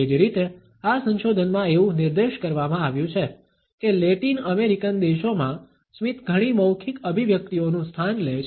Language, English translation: Gujarati, Similarly, it has been pointed out in this research that in Latin American countries a smiles take place of many verbal expressions